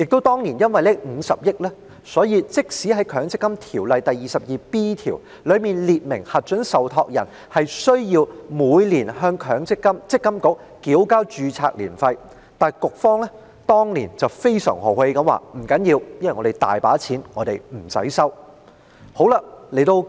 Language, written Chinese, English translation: Cantonese, 當年因為有這50億元，故此即使《強制性公積金條例》第 22B 條列明核准受託人須每年向積金局繳交註冊年費，積金局也非常豪氣地表示因為資金充裕，所以豁免收取註冊年費。, Given the allocation of 5 billion back then even though section 22B of the Mandatory Provident Fund Ordinance provides that approved trustees are required to pay ARF to MPFA MPFA had generously waived ARF due to abundant liquidity